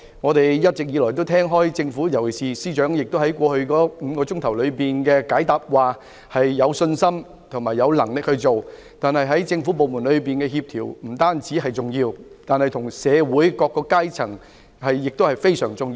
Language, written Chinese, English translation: Cantonese, 我們一直以來聽到政府，尤其是司長在過去5小時回答質詢時表示有信心和有能力止暴制亂，不但政府部門之間的協調重要，與社會各階層的合作亦非常重要。, We have all along heard the Government state particularly the Chief Secretary in the last five hours when answering the questions that they are confident that they are capable of stopping violence and curbing disorder . Coordination among various government departments is crucial so is cooperation with different strata of the community